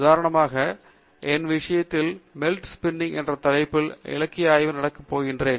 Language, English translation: Tamil, As an example, in my case, I am going to do the literature survey on a topic called Melt Spinning